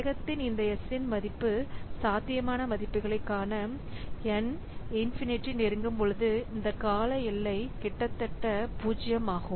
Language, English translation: Tamil, So, to look into this possible values of this S of the speed up, when n approaches infinity, then this term is almost 0